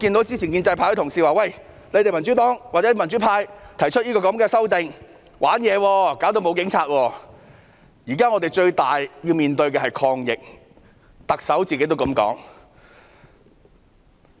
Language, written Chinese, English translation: Cantonese, 之前建制派有同事說民主黨、民主派提出的修訂議案是"玩嘢"，會導致沒有警察，但我們現時要面對的最大挑戰是抗疫，特首也是這樣說的。, Some time ago colleagues from the pro - establishment camp said that the Democratic Party and the pro - democracy camp were playing tricks by proposing the amendment motions to do away with police officers . But the greatest challenge we are now facing is to fight the epidemic and that is what the Chief Executive says